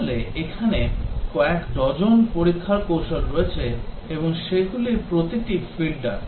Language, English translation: Bengali, So, there are dozens of testing techniques and each of them are bug filters